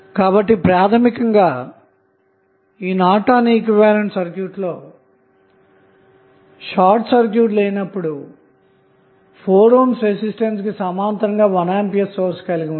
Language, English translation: Telugu, So, basically the Norton's equivalent of this circuit when it is not short circuited would be 1 ampere in parallel with 4 ohm resistance